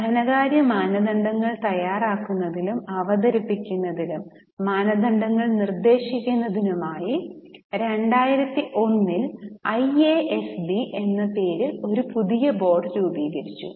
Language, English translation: Malayalam, Now, a new board known as IASB was created in 2001 to prescribe the norms for treatment of various items on preparation and presentation of financial standards